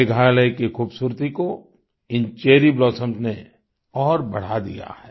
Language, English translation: Hindi, These cherry blossoms have further enhanced the beauty of Meghalaya